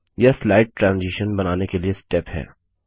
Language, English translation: Hindi, This is the step for building slide transitions